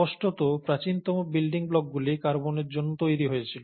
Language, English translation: Bengali, So clearly, the earliest building blocks were formed because of carbon